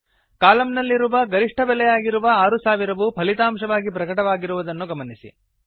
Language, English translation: Kannada, Notice, that the result is 6000, which is the maximum value in the column